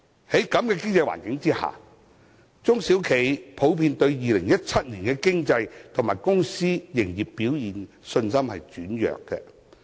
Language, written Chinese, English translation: Cantonese, 在此經濟環境下，中小企普遍對2017年的經濟及公司營業表現的信心轉弱。, Under this economic environment SMEs have generally become less confident about their economic prospect and business performance in 2017